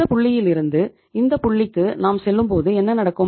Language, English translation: Tamil, If you go from this point to this point what will happen